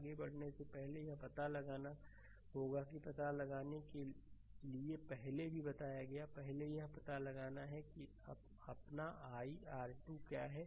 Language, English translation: Hindi, First you have to find out before moving that first we have to find out I have told you earlier also, first you have to find out that what is your what is your i 2 right